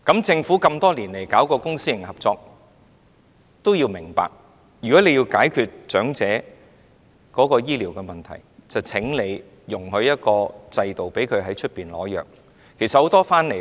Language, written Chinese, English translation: Cantonese, 政府推行公私營合作這麼多年，需要明白，若要解決長者醫療問題，便應制訂一個制度，讓他們可以在外面取藥。, After launching the public - private partnership programme for so many years the Government needs to understand that in order to resolve the elderly healthcare problem it should set up a system for them to obtain prescription drugs outside hospitals